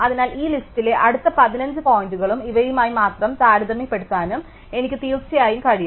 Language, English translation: Malayalam, So, I can definitely find the next 15 points in this list and I compare only with these